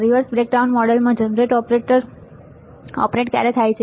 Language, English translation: Gujarati, When is a generated operated in reverse breakdown model